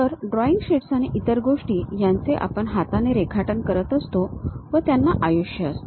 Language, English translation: Marathi, Whereas, a drawing sheets and other things what manually we do they have a lifetime